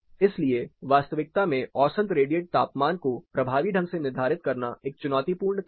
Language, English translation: Hindi, So, effectively determining mean radiant temperature in actual case is really a challenging activity